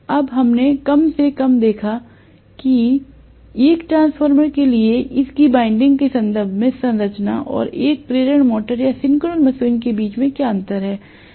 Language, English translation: Hindi, Now that we have at least seen what is the difference between the structure in terms of its winding for a transformer and for an induction motor or synchronous machine